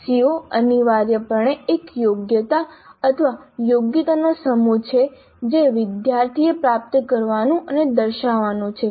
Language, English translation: Gujarati, CO is essentially a competency or a set of competencies that a student is supposed to acquire and demonstrate